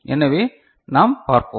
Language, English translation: Tamil, So, let us see ok